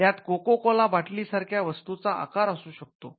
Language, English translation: Marathi, It can include shape of goods like the Coca Cola bottle